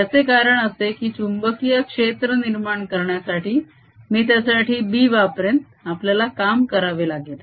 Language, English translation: Marathi, the reason is that establishing a magnetic field, a magnetic field i'll just use b for it requires us to do work